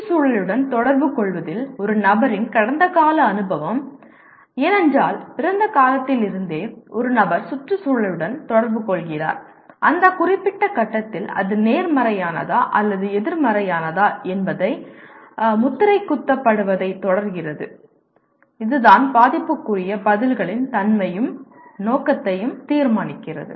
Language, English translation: Tamil, A person’s past experience in interacting with the environment because right from the time of birth, a person is interacting with environment; and whether it is positive or negative at that particular point keeps on getting imprinted and that is what decides the nature and scope of affective responses